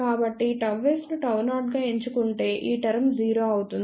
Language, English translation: Telugu, So, if gamma s is chosen as gamma 0 then this term will become 0